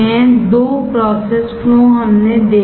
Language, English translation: Hindi, Two process flows we have seen